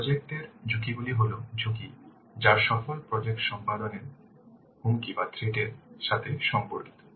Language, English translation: Bengali, Project risks are the risks which are related to threads to successful project execution